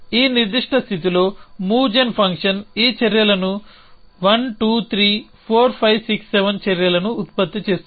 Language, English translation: Telugu, So, the move gen function in this particular state would generate these actions 1 2 3 4 5 6 7 actions